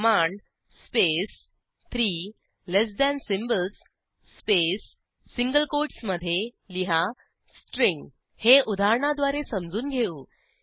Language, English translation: Marathi, The syntax is, command space three less than symbols space within single quotes write string Let us understand this with an example